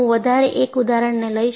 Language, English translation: Gujarati, I will show one more example